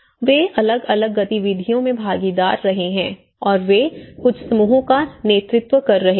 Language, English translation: Hindi, They have been, being a participant in different activities and they have been working leading certain groups